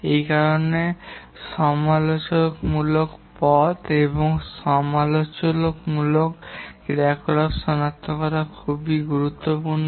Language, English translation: Bengali, For this reason, it's very important to identify the critical path and the critical activities